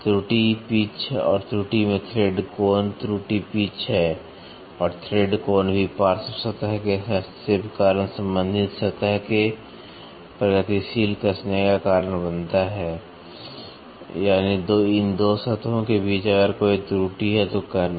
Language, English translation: Hindi, The error is pitch and the thread angle error in the error is pitch and the thread angle also cause the progressive tightening of the mating surface, due to the interference of the flank surface so; that means, to say between these 2 surfaces if there is an error